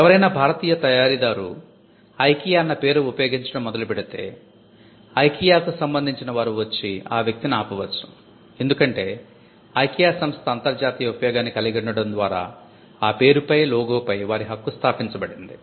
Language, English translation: Telugu, If someone an Indian manufacturer starts using IKEA, IKEA could still come and stop that person, because there a right to the mark is established by use international use